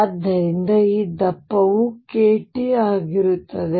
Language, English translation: Kannada, So, this thickness is going to be k t